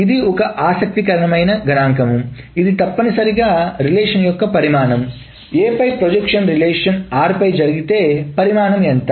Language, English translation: Telugu, This is essentially the size of your, if the projection on A is done on relation R, what is the size